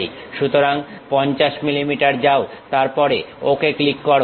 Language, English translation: Bengali, So, go 50 millimeters, then click Ok